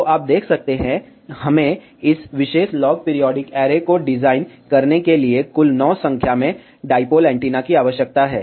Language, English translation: Hindi, So, now you can see, we need total 9 number of dipole antennas to design this particular log periodic array